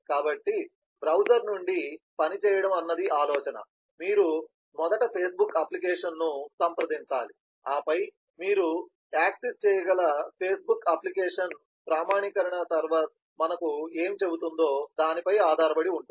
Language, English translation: Telugu, so the idea is working from the browser, you have to first approach the facebook application, then the facebook application whether you can access that depends on what the authentication server will tell us